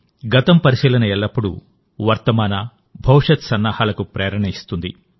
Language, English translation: Telugu, Observation of the past always gives us inspiration for preparations for the present and the future